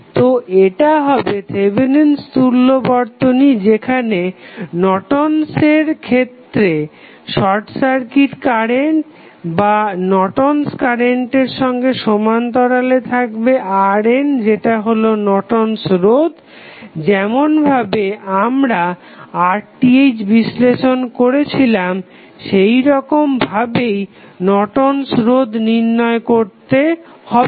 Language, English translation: Bengali, So, this would be Thevenin's equivalent, while in case of Norton's you will have current that is short circuit current or you can say it is Norton's current and then in parallel you will have resistance R n that is Norton's resistance, which will be, which would be found similar to what we did analysis for Rth